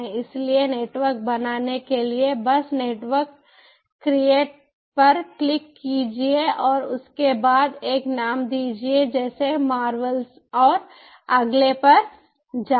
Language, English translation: Hindi, so, for creating a network, just click the create network and after that give a name like marvels, yeah, marvels